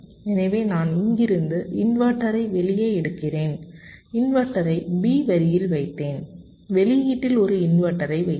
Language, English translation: Tamil, i modify the circuits so i put the, i take out the inverter from here, i put the inverter on line b and also i put an inverter on the output